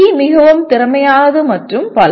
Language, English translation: Tamil, C is more efficient and so on